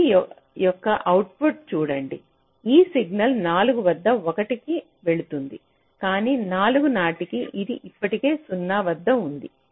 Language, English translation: Telugu, this, this signal is going one at four, but by four it is already at zero